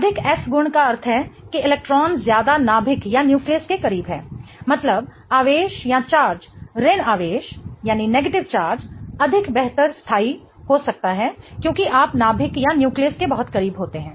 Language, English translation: Hindi, More S character meaning the electrons are held closer to the nucleus meaning the charge, the negative charge can be much better stabilized because you are much closer to the nucleus